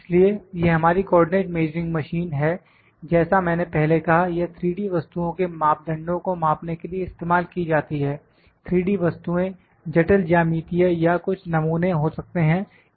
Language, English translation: Hindi, So, this is our Co ordinate Measuring Machine as I said this is used to measure the parameter of 3D objects, the 3D objects maybe complex geometry or maybe some specimen